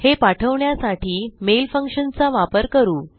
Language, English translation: Marathi, We will use the mail function to send this out